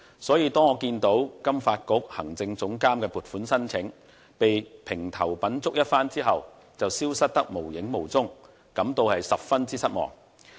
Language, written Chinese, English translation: Cantonese, 所以，當我看見金發局行政總監的撥款申請被評頭品足一番後，便消失得無影無蹤時，便感到十分失望。, For that reason I am disappointed that the funding request concerning the post of executive director in FSDC has simply vanished after all the criticisms